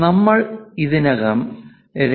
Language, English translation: Malayalam, Here we are showing 2